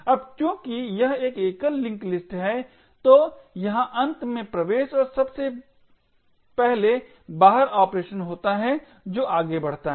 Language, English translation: Hindi, Now since it is a single link list so there is a last in first out kind of operation which goes on